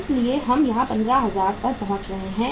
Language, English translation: Hindi, So we are getting here 15,000